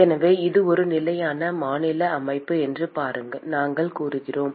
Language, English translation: Tamil, So, we said that it is a steady state system